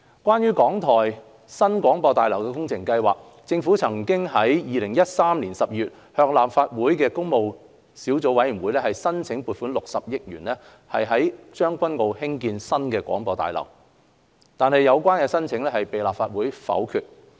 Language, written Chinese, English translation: Cantonese, 關於港台新廣播大樓工程計劃，政府曾於2013年12月向立法會工務小組委員會申請撥款60億元於將軍澳興建新廣播大樓，但有關申請被立法會否決。, As for the New Broadcasting House New BH project the Government had submitted to the Public Works Subcommittee of the Legislative Council in December 2013 a funding application of 6 billion for the construction of the New BH in Tseung Kwan O . However the application was negatived by the Legislative Council